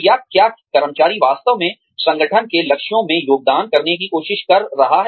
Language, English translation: Hindi, Or, is the employee, really trying to contribute, to the organization's goals